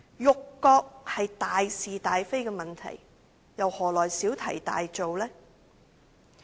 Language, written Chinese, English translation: Cantonese, 辱國是大事大非的問題，又何來小題大做呢？, Insulting the country is a matter involving major principles so how can it be a storm in a teacup?